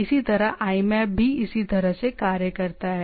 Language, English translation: Hindi, Similarly, IMAP also acts in a similar fashion